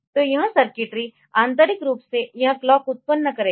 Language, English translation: Hindi, So, internally it will generate clock so, this circuitry will do that